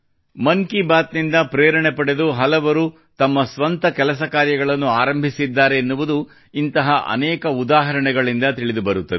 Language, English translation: Kannada, There are many more examples, which show how people got inspired by 'Mann Ki Baat' and started their own enterprise